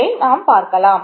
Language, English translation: Tamil, Let us continue